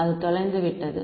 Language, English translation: Tamil, It is lost